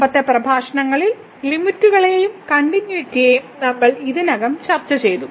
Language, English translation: Malayalam, We have already discussed in the previous lecture Limits and Continuity